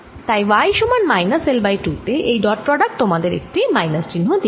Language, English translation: Bengali, at y equals l by two and this is at y equals minus l by two